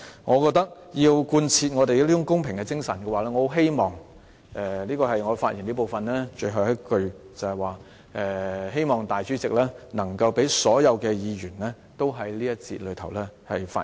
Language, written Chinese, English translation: Cantonese, 我認為如要貫徹公平的精神，我希望——這是我就辯論安排發言的最後一句——我希望主席能夠讓所有議員在這環節中發言。, I think in order to uphold the spirit of fairness I hope that―this is the last thing that I am going to say about the debate arrangements―I hope that the President can allow all Members to speak in this session